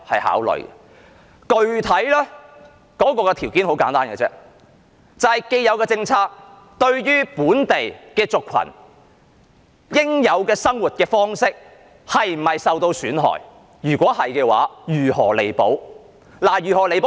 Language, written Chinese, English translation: Cantonese, 考慮的具體條件很簡單，就是現有的政策會否令本地族群的應有生活方式受到損害；若是，應該如何作彌補。, The specific factors for consideration are simple Will the existing policy adversely affect the way of life of local minorities? . If it will what kind of compensation will be offered?